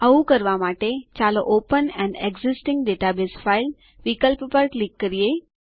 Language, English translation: Gujarati, To do so, let us click on the open an existing database file option